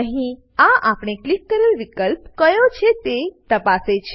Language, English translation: Gujarati, Here, this checks the option that we click on